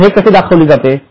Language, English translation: Marathi, Now how it will be reflected